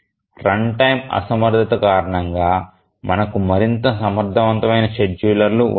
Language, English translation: Telugu, Run time inefficiency, it is a bad we can have more efficient schedulers